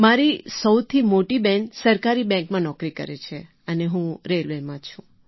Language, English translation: Gujarati, My first sister is doing a government job in bank and I am settled in railways